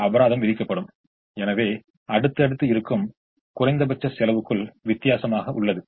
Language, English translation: Tamil, and this penalty, therefore, is the difference between the next last cost and the least cost